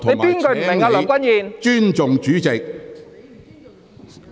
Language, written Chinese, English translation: Cantonese, 請你尊重主席。, Please respect the Chairman